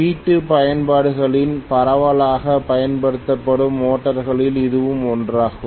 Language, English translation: Tamil, This is one of the motors which is extensively used in household applications